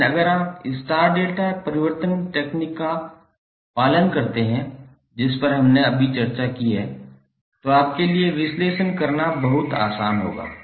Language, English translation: Hindi, But if you follow the star delta transformation technique, which we just discussed, this will be very easy for you to analyse